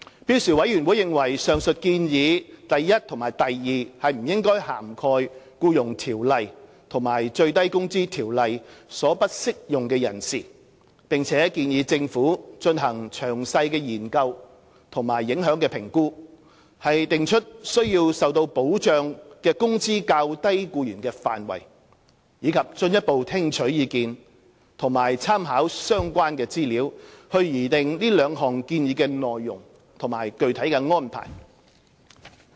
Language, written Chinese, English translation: Cantonese, 標時委員會認為上述建議 i 及不應涵蓋《僱傭條例》及《最低工資條例》所不適用的人士，並建議政府進行詳細的研究和影響評估，訂出須受保障的工資較低僱員的範圍，以及進一步聽取意見及參考相關資料，以擬定這兩項建議的內容及具體安排。, SWHC considers that Recommendations i and ii above should not cover persons to whom the Employment Ordinance and the Minimum Wage Ordinance do not apply and recommends that the Government may conduct detailed examination and impact assessment with a view to determining the scope of lower - income employees requiring protection as well as further collating views and making reference to relevant information for formulating the contents and detailed arrangements of these two recommendations